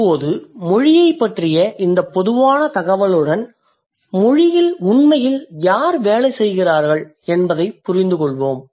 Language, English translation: Tamil, Now with this very generic sort of information about language, let's move over to understand who actually works in language